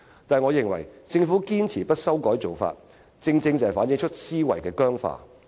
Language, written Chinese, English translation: Cantonese, 不過，我認為政府堅持不修改做法，正正反映出其思維僵化。, But in my view the Governments adamant refusal to amend the relevant arrangements precisely reflects its rigid mindset